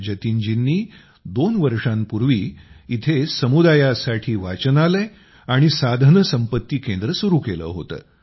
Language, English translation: Marathi, Jatin ji had started a 'Community Library and Resource Centre' here two years ago